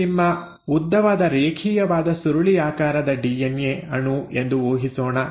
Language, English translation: Kannada, Now, let us assume that this is your long, linear, uncoiled DNA molecule